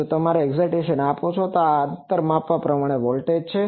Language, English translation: Gujarati, If you give an excitation of this, this is the measured voltage at a distance